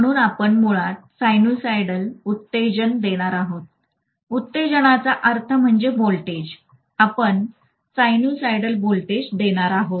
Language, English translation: Marathi, So we are going to give basically a sinusoidal excitation, what we mean by excitation is a voltage, we are going to give a sinusoidal voltage